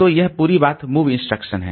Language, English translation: Hindi, So, this whole thing is the move instruction